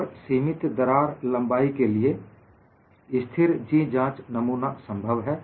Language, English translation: Hindi, And for limited crack lengths, a constant G specimen is possible